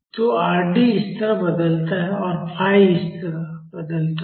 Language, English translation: Hindi, So, Rd varies like this and phi varies like this